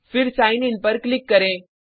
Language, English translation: Hindi, And click on Sign In